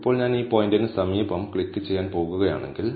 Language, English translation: Malayalam, Now, if I am going to click near this point